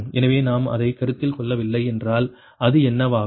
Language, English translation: Tamil, so if, if we do not consider that, then what will happen